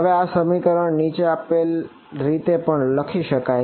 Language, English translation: Gujarati, Now this expression can also be rewritten in the following way